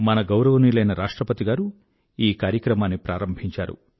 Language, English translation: Telugu, Our Honourable President inaugurated this programme and the country got connected